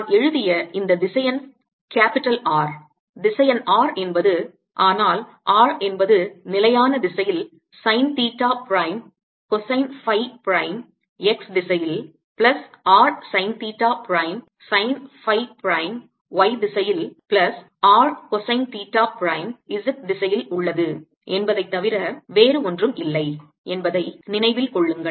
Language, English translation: Tamil, keep in mind that this vector capital r that i have written right, vector r, is nothing, but r is fixed sine theta prime, cosine phi prime in x direction, plus r sine theta prime, sine phi prime in y direction, plus r cosine theta prime in z direction